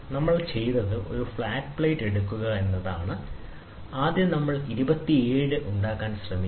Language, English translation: Malayalam, So, what we have done is we take a flat plate, so first we try to make 27 degrees